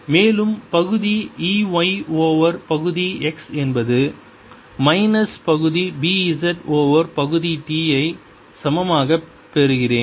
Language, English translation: Tamil, y over partial x is equal to minus, partial e b, z over partial t